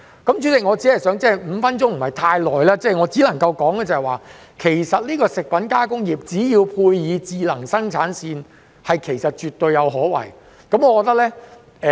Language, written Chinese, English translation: Cantonese, 代理主席 ，5 分鐘時間不太足夠，我只能夠說，食品加工業配以智能生產線絕對有可為。, Deputy President the speaking time of five minutes is not quite enough . I can only say that the food processing industry installed with smart production lines is absolutely promising